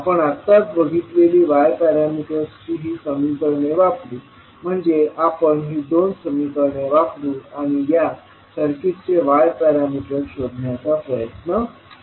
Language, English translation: Marathi, We will use the equations that is y parameters what we just saw means these two these two equations, so we will use these two equations and try to find out the y parameters of this circuit